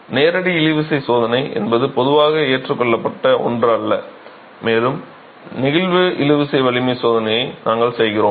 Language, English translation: Tamil, Hence a direct tension test is not something that is usually adopted and we make do with the flexual tensile strength test